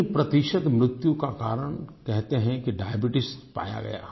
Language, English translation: Hindi, Diabetes was found to be the cause of death in three per cent of all deaths